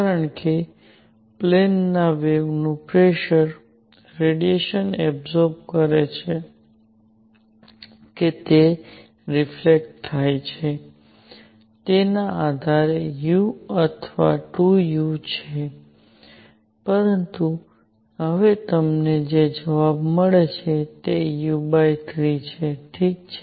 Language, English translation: Gujarati, For plane waves pressure is u or 2 u depending on whether the radiation gets absorbed or it gets reflected, but now the answer you get is u by 3, alright